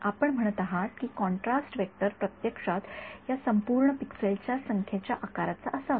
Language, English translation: Marathi, So, you are saying that contrast vector should have been actually the size of the number of the pixels of this right this whole